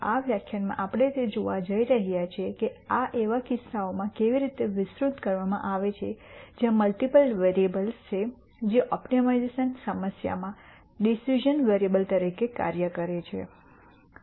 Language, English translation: Gujarati, In this lecture we are going to see how this is extended to cases where there are multiple variables that act as decision variables in the optimization problem